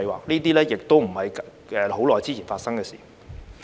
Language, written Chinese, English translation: Cantonese, 這些亦不是很久之前發生的事。, These incidents did not happen long ago